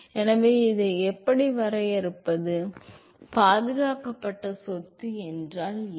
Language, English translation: Tamil, So, how do we define this, what is the conserved property